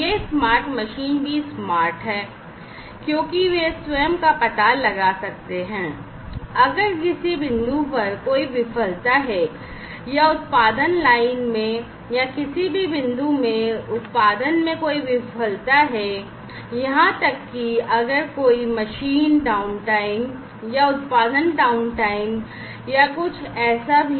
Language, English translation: Hindi, So, these smart machines are also smart because they can detect by themselves, if there is any failure at point of time, or in the production line, if there is any failure in any point in the production like line and also if there is any, machine downtime or, production downtime or anything like that